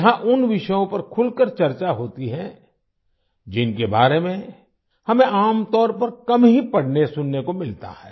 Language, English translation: Hindi, Here those topics are discussed openly, about which we usually get to read and hear very little